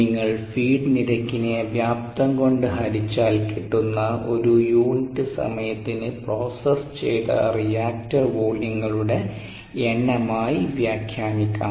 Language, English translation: Malayalam, so if you visualize it as certain feed rate divided by the volume, the dilution rate can be interpreted as the number of reactor volumes processed per unit time